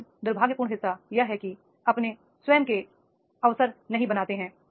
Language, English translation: Hindi, But unfortunate parties, they do not create their own opportunities